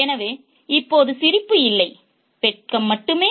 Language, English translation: Tamil, So, now there is no laughter, there is only shame